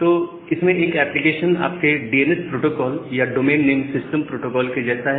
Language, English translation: Hindi, So, one application is just like your DNS protocol or the domain name system protocol